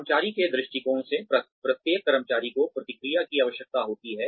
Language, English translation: Hindi, From the employee perspective, every employee requires feedback